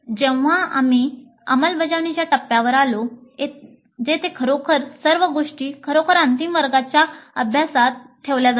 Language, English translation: Marathi, Then we came to the implement phase where actually all these things really are put into the final classroom practice